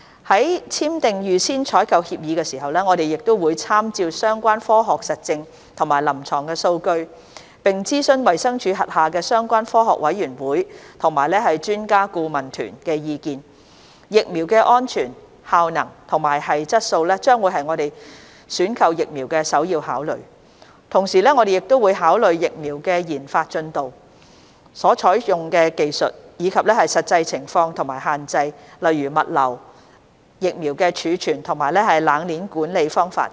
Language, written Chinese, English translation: Cantonese, 在簽訂預先採購協議時，我們會參照相關科學實證和臨床數據，並諮詢衞生署轄下相關科學委員會及專家顧問團的意見，疫苗的安全、效能和質素將會是我們選購疫苗的首要考慮，同時我們亦會考慮疫苗的研發進度、所採用的技術，以及實際情況和限制，例如物流、疫苗的儲存及冷鏈管理方法等。, When entering into APAs we will make reference to the relevant scientific evidence and clinical data and consult the views of the relevant Scientific Committees under the Department of Health DH and expert groups . The safety efficacy and quality of the vaccines will be the priority factors for consideration in procurement . At the same time we will also consider the development progress of the vaccines the technology used and practical circumstances and limits such as logistics storage of the vaccines and cold chain management etc